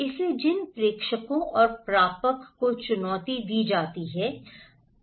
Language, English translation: Hindi, So, the senders and receivers they are challenged